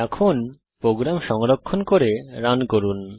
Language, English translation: Bengali, Now Save and Run the program